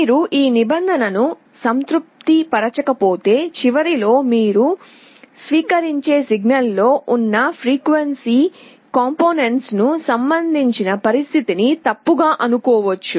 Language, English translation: Telugu, But if you do not satisfy this condition, then your receiving end might get wrong inference regarding the frequency components present in the signal